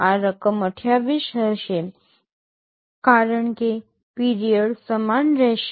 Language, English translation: Gujarati, This sum will be 28 because period will remain same